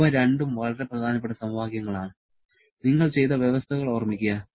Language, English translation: Malayalam, These two are very important equations; remember the conditions for which you have done